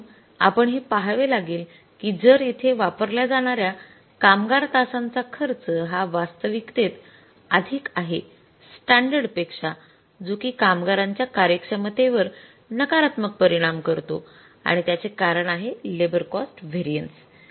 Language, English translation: Marathi, So, we will have to see that if the labor hours used here actually spent on more than the standards, it means efficiency of the labor is affected negatively and that is the cause of increasing this labor cost varies